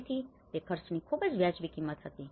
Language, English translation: Gujarati, So, which was very reasonable amount of cost